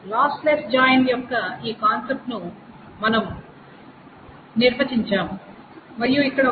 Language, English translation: Telugu, We define this concept of a lossless join and here is is a thing